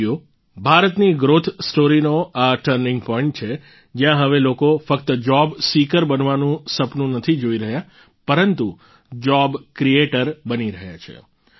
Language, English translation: Gujarati, Friends, this is the turning point of India's growth story, where people are now not only dreaming of becoming job seekers but also becoming job creators